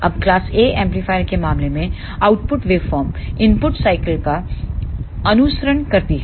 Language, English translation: Hindi, Now, in case of class A amplifier the output waveform follows the input cycle